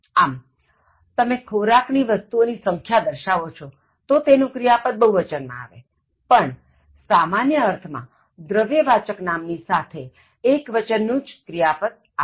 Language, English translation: Gujarati, So, now you are indicating the quantity of the food item, so then the verb will be plural, otherwise when you refer to that as uncountable noun in a general sense, it takes a singular verb